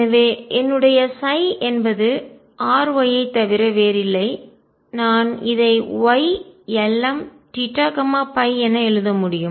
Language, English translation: Tamil, So, my psi is nothing but R Y and I can write this Y lm theta and phi